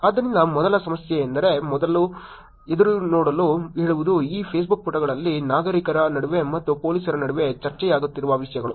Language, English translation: Kannada, So the first problem, first saying to look forward is the topics that are being discussed on these Facebook pages between citizens and between police